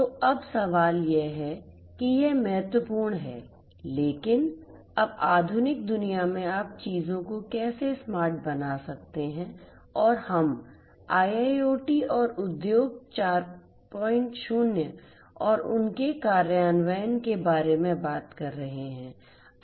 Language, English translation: Hindi, So, now the question is that it is important, but now in the modern world how you can make things smarter and now that we are talking about IIoT and Industry 4